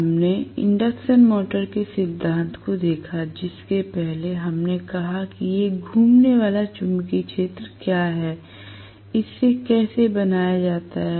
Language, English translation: Hindi, We, looked at the principle of the induction motor, before which we said what is a revolving magnetic field how it is created